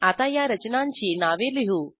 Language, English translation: Marathi, Let us write the names of the structures